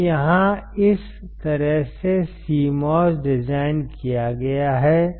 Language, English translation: Hindi, So, here this is how the CMOS is designed